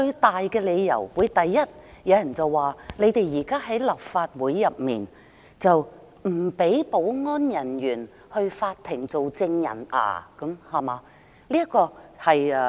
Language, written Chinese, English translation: Cantonese, 有人會說，主因是立法會內有人不容許保安人員到法庭做證人，對嗎？, Some people may say the main reason is that some people in this Chamber refuse to allow the security officers to give evidence in court right?